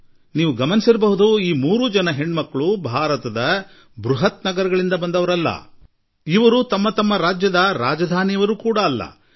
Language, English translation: Kannada, You must have noticed that all these three daughters do not hail from metro cities of India